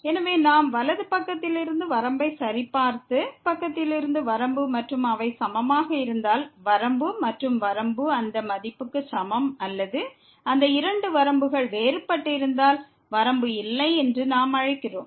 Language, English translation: Tamil, So, we used to check the limit from the right side and limit from the left side and if they are equal, then we say that the limit exist and limit is equal to that value or if those two limits are different then, we call that the limit does not exist